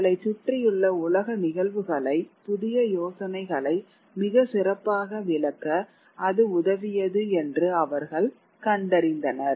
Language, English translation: Tamil, They found that the new ideas helped them explain natural phenomena, the world around them much better